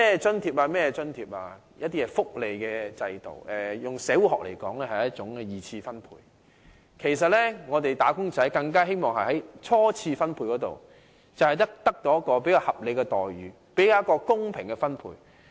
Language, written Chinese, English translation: Cantonese, 設立各項津貼及福利制度，以社會學來說，是一種二次分配，而"打工仔"其實是希望在初次分配中獲得較合理的待遇和較公平的分配。, From a sociology perspective the establishment of subsidies and welfare system is redistribution of wealth . For wage earners they actually want to have more reasonable remuneration and a fairer share in primary distribution of wealth